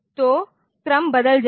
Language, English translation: Hindi, So, the order will change